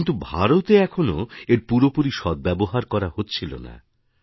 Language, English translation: Bengali, But India was lacking full capacity utilization